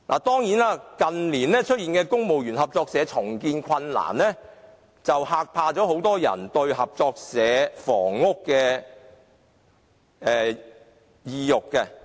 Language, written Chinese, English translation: Cantonese, 當然，近年公務員合作社出現重建困難，減低很多人購買合作社房屋的意欲。, Of course in recent years CBSs have encountered difficulties in redeveloping their buildings which has discouraged many people from buying such flats